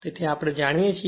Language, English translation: Gujarati, So, we know this